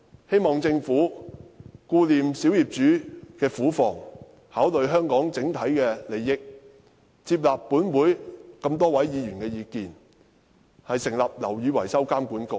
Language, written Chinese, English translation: Cantonese, 希望政府顧念小業主的苦況，考慮香港的整體利益，接納本會這麼多位議員的意見，成立"樓宇維修工程監管局"。, I hope the Government can take on board the view of many Members of this Council on setting up BMWA as a show of care for the plight of small property owners and consideration for Hong Kongs overall interests